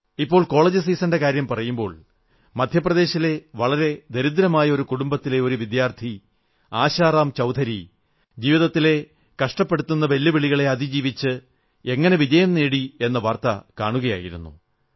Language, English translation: Malayalam, Referring to the college season reminds me of someone I saw in the News recently… how Asharam Choudhury a student from an extremely poor family in Madhya Pradesh overcame life's many challenges to achieve success